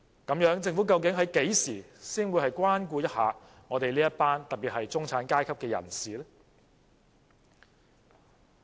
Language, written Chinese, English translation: Cantonese, 那麼，政府究竟何時才會關顧一下中產階級人士？, As such when actually will the Government take into account the needs of the middle class?